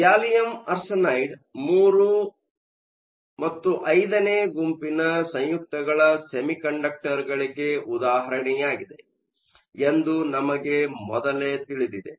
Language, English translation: Kannada, We saw earlier that gallium arsenide is an example of III V compound semiconductor